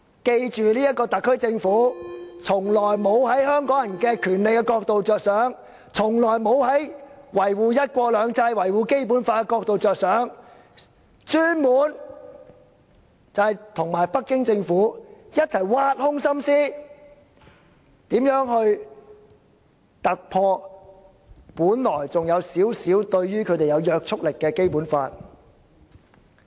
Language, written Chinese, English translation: Cantonese, 記住這個特區政府從來沒有從維護香港人權利的角度着想，從來沒有從維護"一國兩制"、《基本法》的角度着想，專門與北京政府一起挖空心思，思量如何突破本來對他們還有少許約束力的《基本法》。, We should bear in mind that the SAR Government has never attached importance to safeguarding Hong Kong peoples rights the principle of one country two systems and the Basic Law but has dedicated itself to working with the Beijing Government in racking their brain to identify every possible means to evade regulation by the Basic Law which originally should have certain binding effects on them